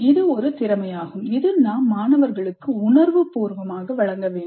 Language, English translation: Tamil, This is also a skill that we must consciously impart to the students